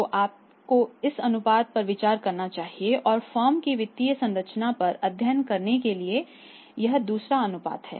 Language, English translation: Hindi, So it means you should consider this ratio and that is the second ratio to study the financial structure of the firm